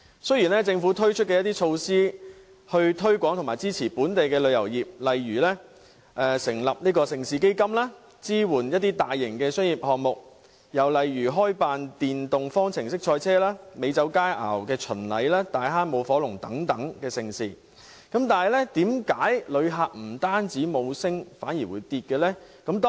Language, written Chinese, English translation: Cantonese, 雖然政府推出一系列措施推廣本地旅遊業，例如成立盛事基金，支援大型商業項目，開辦電動方程式賽車、美酒佳餚巡禮、大坑舞火龍等盛事，旅客人數卻不升反跌。, Despite a series of government initiatives to promote the local tourism industry for example by setting up the Mega Events Fund sponsoring large - scale commercial projects and hosting the FIA Formula E Championship Hong Kong Wine and Dine Festival and the fire dragon dance of Tai Hang visitor arrivals have dropped rather than increased